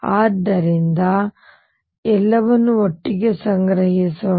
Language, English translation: Kannada, So, let us collect everything together